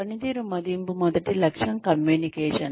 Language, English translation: Telugu, Performance appraisal are the first, aim is communication